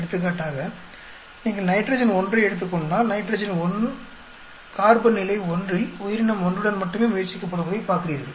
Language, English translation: Tamil, For example, if you take nitrogen 1, you look at nitrogen 1 is being tried out only with the organism 1 at a carbon level 1